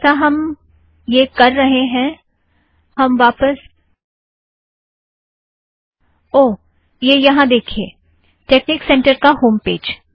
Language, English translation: Hindi, So as we are doing it, lets get back to – oh there we are – So here is the texnic center webpage